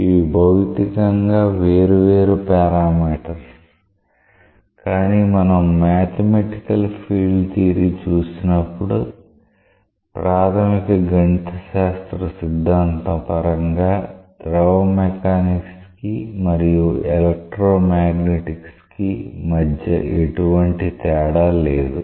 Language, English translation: Telugu, These are physically different sets of parameters, but when you look into the mathematical field theory there is hardly any distinction between fluid mechanics and electro magnetics in terms of the basic mathematical theory that goes behind